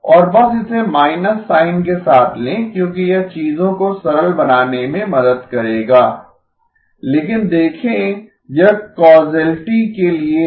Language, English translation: Hindi, And just take it with the minus sign because that will help simplify things but see this is for causality